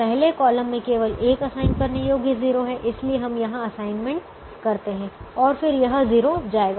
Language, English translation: Hindi, the third column has only one zero, so we will make an assignment here to do that